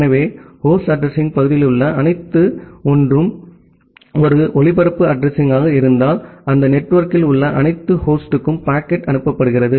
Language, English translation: Tamil, So, if all 1’s at the host address part is a broadcast address, where the packet is being forwarded to all the host in that network